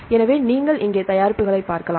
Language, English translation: Tamil, So, you can see the products here right